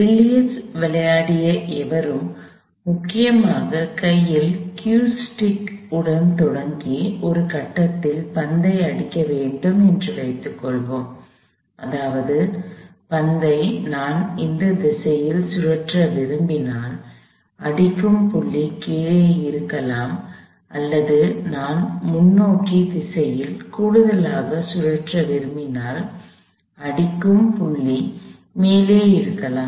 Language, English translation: Tamil, Let us say anybody that has played billiards, essentially starts with a q stick in hand and hitting the ball at some point, that is, it could be below if I want to cause a spin in this direction or above if I want to cause an additional spin in the forward direction and is the force acts on this ball for a very short period of time